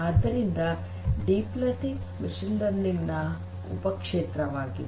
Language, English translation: Kannada, So, difference between machine learning and deep learning